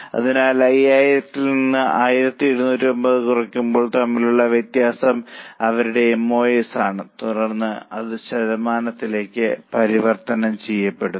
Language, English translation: Malayalam, So, difference between 5,000 minus 1,750 is their MOS and then convert it into percentage